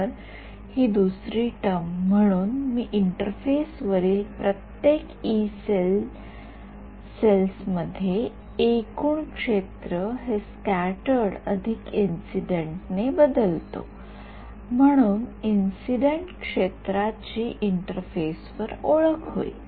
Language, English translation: Marathi, So, this second term; so, at every Yee cell on the interface I will have this replacement of total field by scattered plus incident and the incident field therefore, gets introduced at the interface